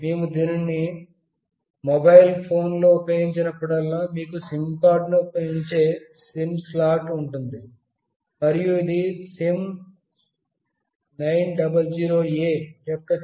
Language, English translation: Telugu, Whenever we use in a mobile phone, there is a SIM slot where you put a SIM card, and this is the chip of the SIM900A